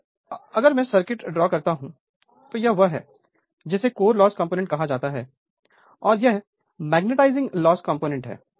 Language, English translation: Hindi, So, if you draw the circuit; if you draw the circuit so, this is your what you call my this is core loss component and this is my magnetising loss component right